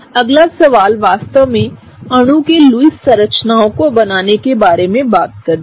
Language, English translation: Hindi, The next question, really talked about drawing the Lewis structures of these molecule